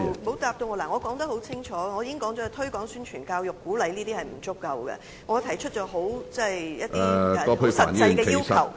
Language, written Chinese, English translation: Cantonese, 我剛才清楚指出，空談推廣、宣傳、教育和鼓勵等並不足夠，並提出了多項很實際的要求。, As I pointed out clearly just now it is not enough to talk vaguely about things like publicity promotion education and encouragement and I have made a number of requests which are highly practical